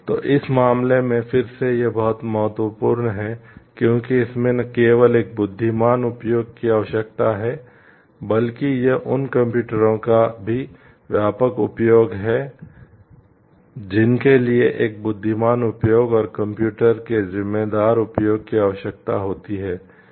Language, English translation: Hindi, So, in this case again, it is very important like it is not only a wise usage is required in this, but also it is the wide usage of those computers throughout which you requires a wise usage and responsible usage of the computers